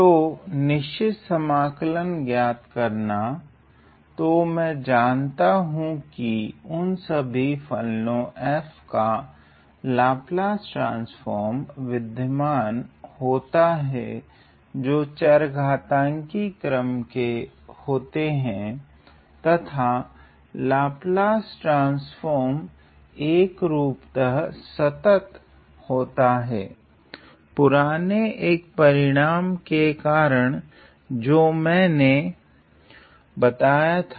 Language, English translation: Hindi, So, evaluation of definite integrals so, I know that the Laplace transform of the Laplace transform of f, exists for all functions which are of exponential order and the Laplace transform is uniform the transformer is uniformly continuous, due to 1 of the previous results that I have stated